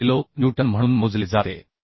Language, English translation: Marathi, 26 kilo Newton